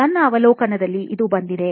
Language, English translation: Kannada, This is what came up in my observation